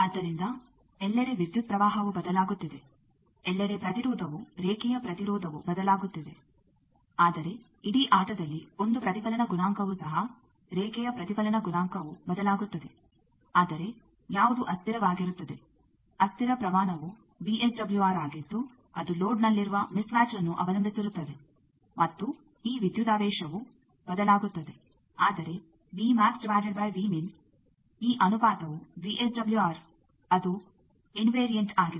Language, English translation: Kannada, So, everywhere the current is also changing, everywhere the impedance line impedance is also changing, but in the whole game one also the reflection coefficient; line reflection coefficient also changes, but who is invariant the invariant quantity is VSWR that depends on the mismatch at the load and this voltage will change, but v max by v min this ratio VSWR that is invariant